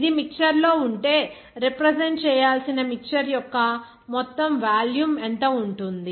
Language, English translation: Telugu, If it is in a mixture, then what will be the total volume of the mixture that is to be represented